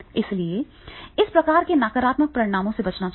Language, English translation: Hindi, So therefore this type of the negative consequences that is to be avoided